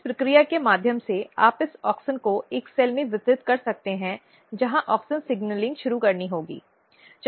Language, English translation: Hindi, So, through this process you can basically distribute this auxin to a cell where auxin signalling has to be initiated